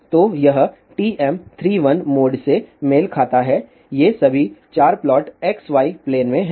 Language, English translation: Hindi, So, this corresponds to TM 3 1 mode all these 4 plots are in xy plane